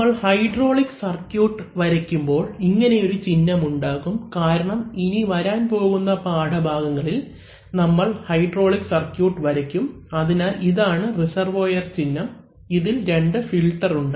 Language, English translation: Malayalam, So this is a, when we will draw hydraulic circuits, we are showing symbol side by side because in the coming lessons we will draw hydraulic circuits, so that we understand, so this is a reservoir symbol in which we have two filters